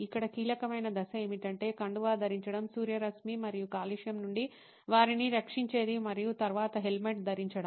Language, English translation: Telugu, The crucial stage here is to put on a scarf, something that protects them from sunlight and pollution and then wear a helmet